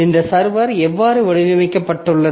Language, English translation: Tamil, So, so how this server is designed